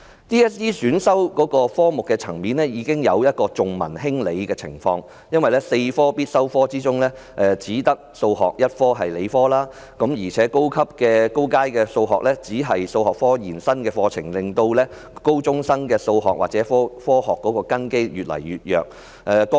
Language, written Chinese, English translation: Cantonese, 其實，在 DSE 選修科目的層面已經有重文輕理的情況，因為4科必修科中只有數學是理科，而高階數學又是數學科延伸課程，令高中生的數學或科學的根基越來越弱。, In fact the range of subjects offered in the DSE programme shows that a greater emphasis is put on the arts subjects instead of the science subjects . Among the four compulsory subjects only Mathematics is a science subject . Besides advanced Mathematics is only part of the Extended Part of Mathematics and this arrangement has weakened the grounding in Mathematics or Science among secondary school students